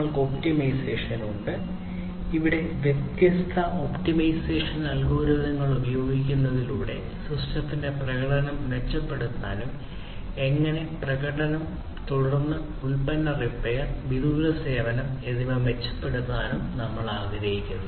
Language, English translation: Malayalam, So, this is about control and then we have the optimization; here through the use of different algorithms, optimization algorithms, we want to improve the performance of the system the process and so on performance, and then product repair, and also remote service